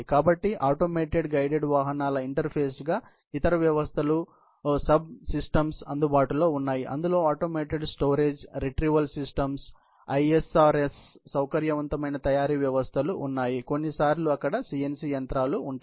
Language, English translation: Telugu, So, having said that, there is obviously, going to be an interface of the automated guided vehicles with the other systems, subsystems, which are available, which includes the automated storage retrieval systems, ISRS, flexible manufacturing systems; sometimes, there CNC machines